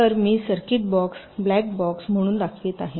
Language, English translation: Marathi, so i am showing this circuit as a box, black box